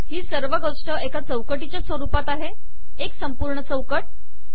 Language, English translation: Marathi, The whole thing is in the form of a frame – a complete frame